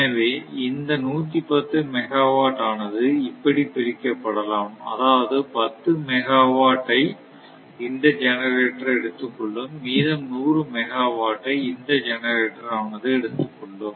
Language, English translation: Tamil, So, here also this 110 megawatt can be divided that 10 megawatt will be picked up by this generator and another 100 megawatt will be picked up by this generator the total is one 110 times more has been proportion to the rating right